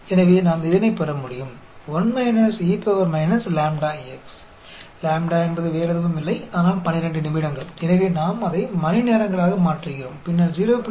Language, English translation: Tamil, So, we can get 1 minus e power minus lambda x; lambda is nothing, but 12 minutes, and so, we are converting that into hours; then, take 0